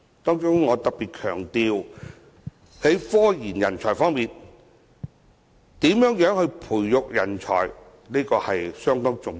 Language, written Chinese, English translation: Cantonese, 當中，我特別強調在科研人才方面，如何培育人才尤其重要。, I particularly lay emphasis on scientific research talents their nurturing is especially important